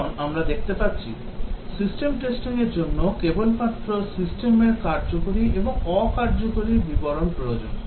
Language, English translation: Bengali, Because system testing as we will see require only the functional and non functional descriptions of the system